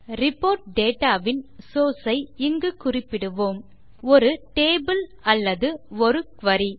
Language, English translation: Tamil, We will specify the source of the report data here: either a table or a query